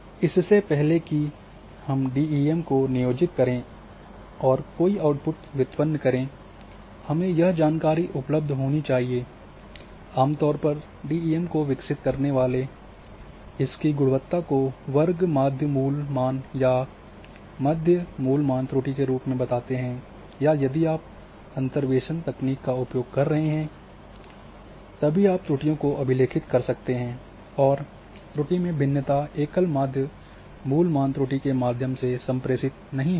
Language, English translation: Hindi, So, this information must be available before we employ that DEM and derive certain derivatives or outputs from that generally DEM quality is reported in a root mean square or RMSE value by the developers of those DEMs or if you are using interpolation techniques that time also you can record the errors and the variation in error is not communicated by the single RMSE value